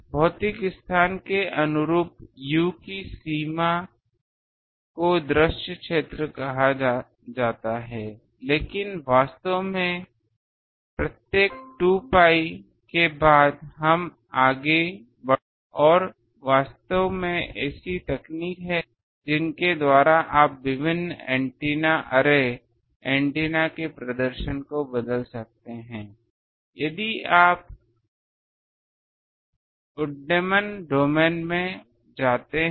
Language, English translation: Hindi, The range of u corresponding to physical space that is called visible region, but actually after every 2 pi we can go on and actually there is techniques by which you can change various antennas array, antennas performance if you go in to the invisible domain